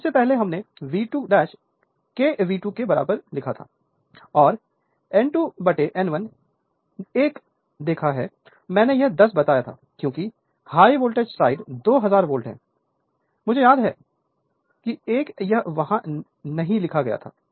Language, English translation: Hindi, And earlier we have seen V 2 dash is equal to k V 2 and N 2 by N 2 1 I told you this 10 because, high voltage side voltage is 2000 volt, I miss that one it was not written there